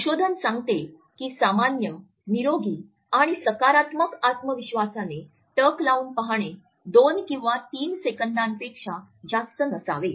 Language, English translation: Marathi, Researches tell us that a normal healthy and positive confident gaze should not be more than 2 or 3 seconds